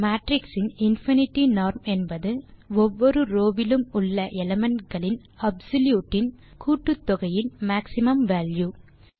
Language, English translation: Tamil, The infinity norm of a matrix is defined as the maximum value of sum of the absolute of elements in each row